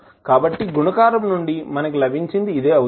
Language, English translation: Telugu, So, this is what we got from the multiplication